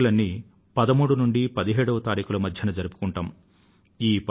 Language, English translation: Telugu, All of these festivals are usually celebrated between 13th and 17thJanuary